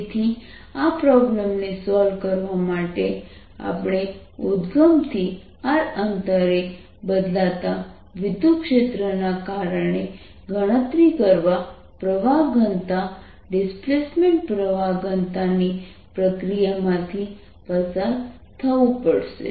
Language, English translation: Gujarati, so to solve this problem you have to go through the procedure of calculating on current density, displacement current density because of this changed electric field at a distance r from the originals